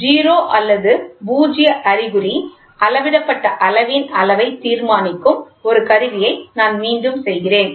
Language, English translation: Tamil, So, I repeat an instrument in which 0 or null indication determines the magnitude of the measured quantity